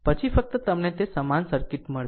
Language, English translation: Gujarati, Then only you will get that equivalent circuit